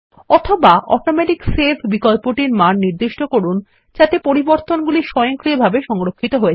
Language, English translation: Bengali, Alternately, set the Automatic Save option so that the changes are saved automatically